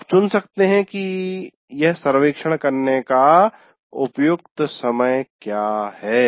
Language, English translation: Hindi, One can do you can choose what is the appropriate time to take this survey